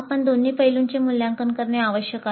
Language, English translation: Marathi, We need to assess both aspects